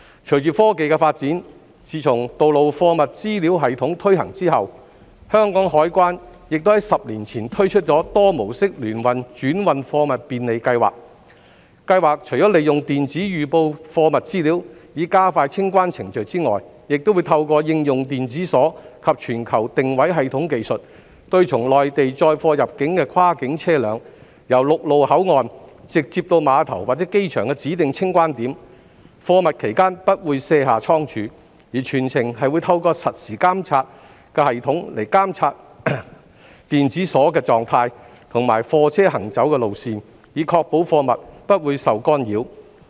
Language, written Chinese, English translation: Cantonese, 隨着科技的發展，自從"道路貨物資料系統"推行後，香港海關亦於10年前推出多模式聯運轉運貨物便利計劃，計劃除了利用電子預報貨物資料，以加快清關程序外，亦會透過應用電子鎖及全球定位系統技術，對從內地載貨入境的跨境車輛，由陸路口岸直接到碼頭或機場的指定清關點，貨物期間不會卸下倉儲，而全程會透過實時監察系統監察電子鎖的狀態及貨車行走路線，以確保貨物不會受干擾。, With the development of technology since the implementation of the Road Cargo System the Hong Kong Customs and Excise Department launched the Intermodal Transshipment Facilitation Scheme with electronic advance cargo information to speed up the clearance process . Electronic lock and global positioning system technology are used to track cross - boundary cargo vehicles entering Hong Kong from the Mainland which will go directly from the land crossing to designated clearance points at the terminal or the airport without unloading the cargo for storage . The status of the electronic lock and the movement of the vehicle throughout the journey is tracked by the real - time monitoring system to ensure that the goods are not tampered with